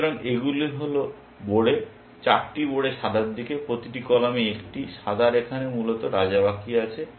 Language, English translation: Bengali, So, these are pawns, 8 pawns white house, one in each column, and white has only the king left here essentially